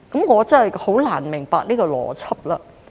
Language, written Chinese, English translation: Cantonese, 我真是難以明白這個邏輯。, I really do not understand this logic